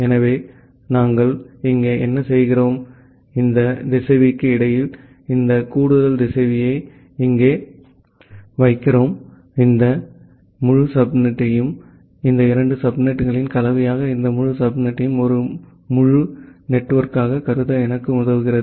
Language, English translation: Tamil, So, what we are doing here, we are putting this additional router here in between that router is helping me to treat this entire subnet as a this combination of these two subnet as a entire network